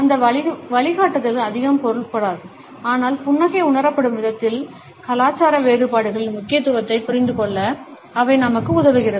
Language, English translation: Tamil, These guidelines may not mean too much, but they help us to understand, the significance of cultural differences in the way the smile is perceived